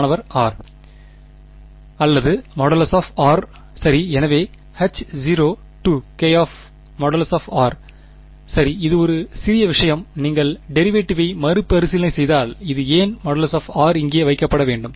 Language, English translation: Tamil, Or just the modulus of r right; so, H naught 2 k ok so, it is a minor thing to if you retrace the derivation you will see why this mod r should be kept over here